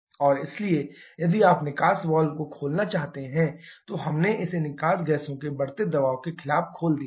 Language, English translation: Hindi, And therefore, if you want to open the exhaust valve download then we have open it against this increasing pressure of the exhaust gases